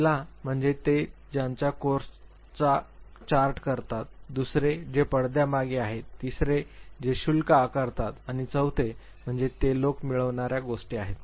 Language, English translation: Marathi, The first one is those who chart their course, second who are behind the scenes, third who are in charges and fourth they are the get things going people